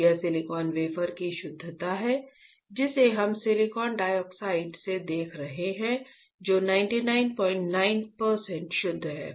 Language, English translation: Hindi, This is the purity of the silicon wafer that we are looking at from the silicon dioxide which is 99